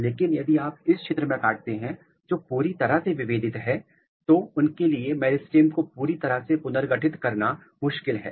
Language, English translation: Hindi, But, if you cut the region which is fully differentiated, it is difficult for them to fully reconstitute the meristem